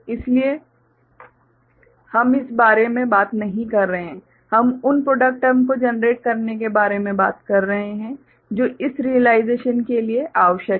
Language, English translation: Hindi, So, we are not talking about that, we are talking about generating those product terms which are required for this realization right